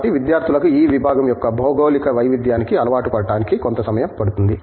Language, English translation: Telugu, So, it takes a while for students who kind of get used to this geographic diversity of their department